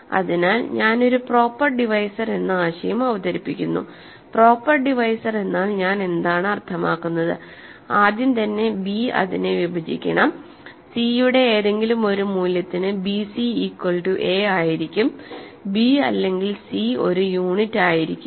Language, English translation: Malayalam, So, I am introducing the notion of a proper divisor, what do I mean by a proper divisor, I first of all want b to divide it so, b c is equal to a, but I do not want c or b to be unit, recall